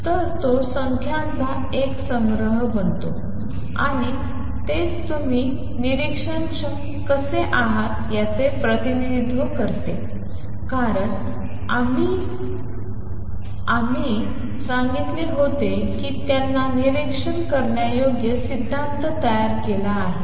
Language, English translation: Marathi, So, it becomes a collection of numbers all right and that is how you represent how are the observable because earlier I had said that he had formulated theory in terms of observables